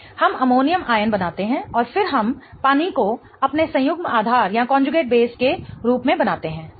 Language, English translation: Hindi, We form an ammonium ion and then we form water as our conjugate base